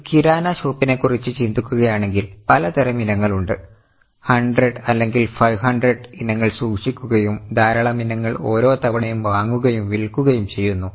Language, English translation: Malayalam, If you think of a Kirana shop, there are so many types of items, 100 or 500 items are kept and lot of items are purchased and sold every time